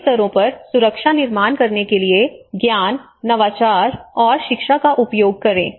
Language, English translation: Hindi, Use knowledge, innovation and education to build a culture of safety and resilience at all levels